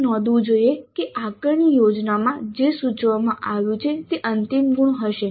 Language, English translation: Gujarati, But it should be noted that what is indicated in the assessment plan would be the final marks